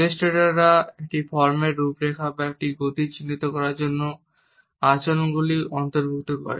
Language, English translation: Bengali, Illustrators include behaviors to point out outline a form or depict a motion